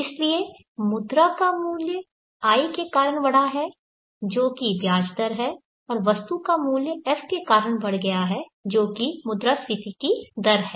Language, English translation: Hindi, So the value of money has grown because of I which is the interest rate and the value of the item has grown because of the F that is the inflation rate